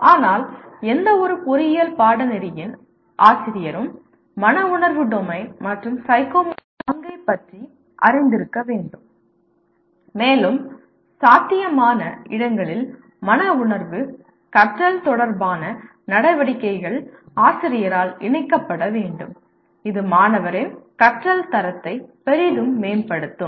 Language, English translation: Tamil, But a teacher of any engineering course should be aware of the role of affective domain and psychomotor domain and wherever possible the activities related to affective learning should be incorporated by, by the teacher which will greatly enhance the quality of learning by the student